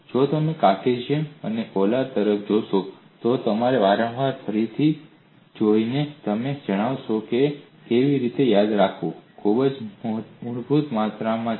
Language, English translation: Gujarati, If you look at Cartesian and polar by looking at them again and again, you will know how to remember this, because they are very, very fundamental quantities